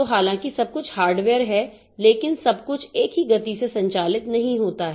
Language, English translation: Hindi, So, though everything is hardware, but everything does not operate at the same speed